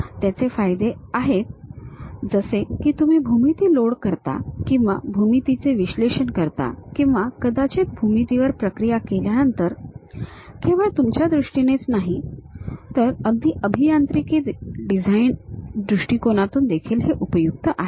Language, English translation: Marathi, It has its own advantages like when you are loading the geometry or perhaps analyzing the geometry or perhaps post processing the geometry not only in terms of you, even for engineering design perspective